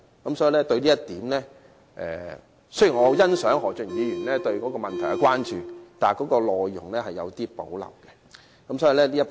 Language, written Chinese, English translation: Cantonese, 對於這一點，雖然我很欣賞何俊賢議員對這問題的關注，但我對其修正案的內容有所保留。, Although I very much appreciate Mr Steven HOs concern about this issue I still have reservations about his amendment